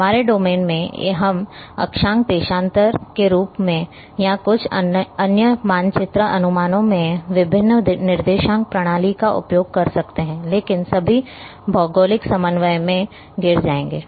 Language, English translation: Hindi, In our domain, we call as may be latitude longitude or in some other map projections may use different coordinates system, but all will fall in the geographic coordinate